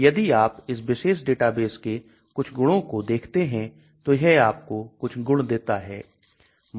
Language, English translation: Hindi, So if you look at some of these properties of this particular database also gives you some properties